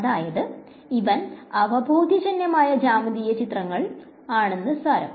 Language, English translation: Malayalam, So, this is the intuitive geometric pictures